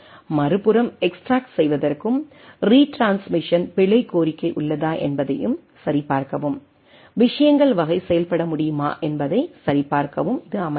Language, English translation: Tamil, And on the other hand it sets to extract and also to check that whether there is a error request for retransmission is there and type of things can come into play